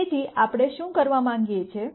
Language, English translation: Gujarati, So, what we want to do is